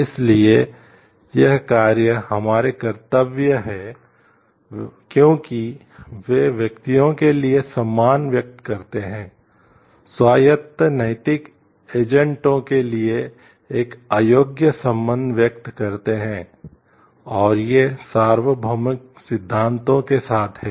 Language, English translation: Hindi, So, these actions are our duties because the express respect for persons, express an unqualified regard for the autonomous moral agents, and there these are with universal principles